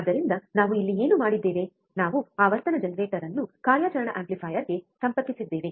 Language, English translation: Kannada, So, what we have done here is, we have connected the frequency generator to the operational amplifier